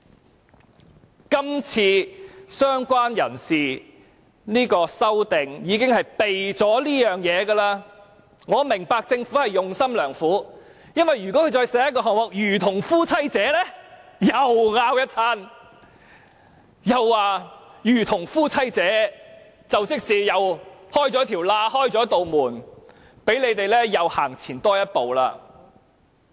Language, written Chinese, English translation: Cantonese, 所以，今次"相關人士"的修正案其實已避開這一點，我明白政府用心良苦，因為如果它再寫一句"如同夫妻者"，屆時又會有一番爭論，說這樣等於開了一道門，讓他們再走前一步。, Hence this time around the amendment for related person has actually evaded this point . I understand that the Government is well - intentioned because if it adds the expression as the husband or wife there will be another argument that it is tantamount to opening a door for them to take another step forward